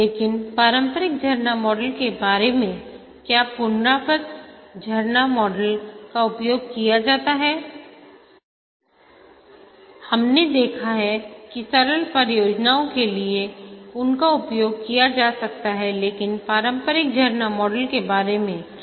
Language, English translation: Hindi, But what about the classical waterfall model, the iterative waterfall model has its use, we saw that for simple projects they can be used